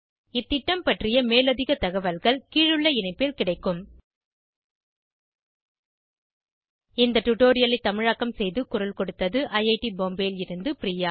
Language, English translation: Tamil, More information on this Mission is available at this link http://spoken tutorial.org/NMEICT Intro Drawings are contributed by Arathi This is Madhuri Ganapathi from IIT Bombay signing off